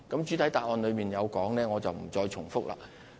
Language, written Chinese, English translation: Cantonese, 主體答覆中有提到的內容，我便不再重複了。, I will not repeat the details as I have already stated them in the main reply